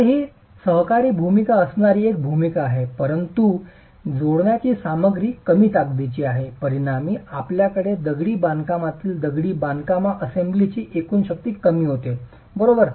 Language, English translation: Marathi, So, there is a role that this coaction is playing, but since the jointing material is of lower strength, as an outcome you have lowering of the overall strength of the masonry assembly in compression